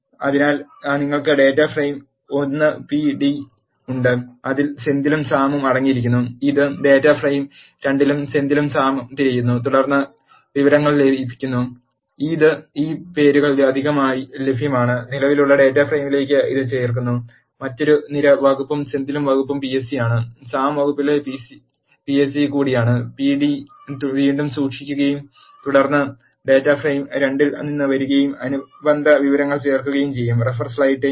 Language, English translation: Malayalam, So, you have data frame 1 p d which contains, Senthil and Sam and it look for, Senthil and Sam in the data frame 2 and then merges the information, that is available extra for these names and add it to the existing data frame, with another column department and the department of Senthil is PSC, in the department of Sam is also PSC, it will rehold the p d and then add the corresponding piece of information, that is coming from the data frame 2